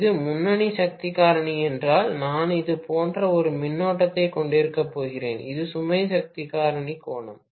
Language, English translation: Tamil, If it is leading power factor, I am probably going to have a current like this, this is the load power factor angle